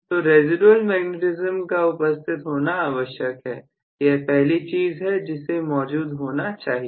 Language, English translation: Hindi, So, residual magnetism should be present, that is the first thing that needs to happen